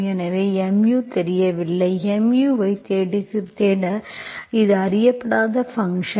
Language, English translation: Tamil, So mu is unknown, so you are looking for mu which is an unknown function